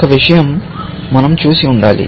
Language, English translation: Telugu, One thing, we should have done